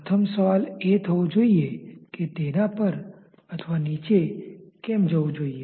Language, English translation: Gujarati, First question should come that why it should rise or why it should fall